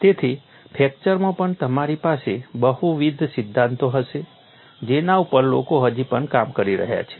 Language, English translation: Gujarati, So, in fracture also you will have multiple theories people are still working on